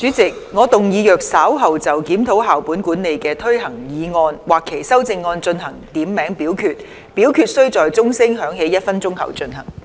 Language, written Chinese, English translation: Cantonese, 主席，我動議若稍後就"檢討校本管理的推行"所提出的議案或其修正案進行點名表決，表決須在鐘聲響起1分鐘後進行。, President I move that in the event of further divisions being claimed in respect of the motion on Reviewing the implementation of school - based management or any amendments thereto this Council do proceed to each of such divisions immediately after the division bell has been rung for one minute